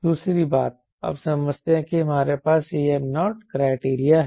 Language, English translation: Hindi, second thing: you understand that we have a c m naught criteria